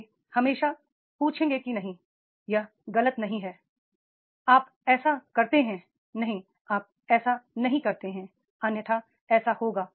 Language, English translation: Hindi, They will always ask, no, no, this is going wrong, you do like this, no, you don't do like this, otherwise this will happen